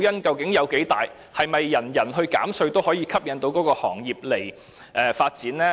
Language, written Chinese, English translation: Cantonese, 究竟這誘因有多大，以及是否減稅便一定能夠吸引某些行業來港發展？, How attractive is this incentive and can tax reduction necessarily attract certain industries to develop in Hong Kong?